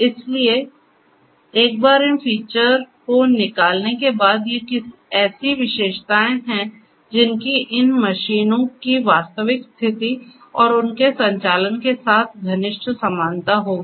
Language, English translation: Hindi, So, once these features are extracted these are the features which will have close resemblance to the actual state of these machines and their operations